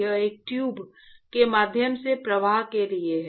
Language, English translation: Hindi, That is for flow through a tube, right